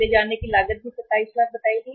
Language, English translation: Hindi, The carrying cost was also worked out as 27 lakhs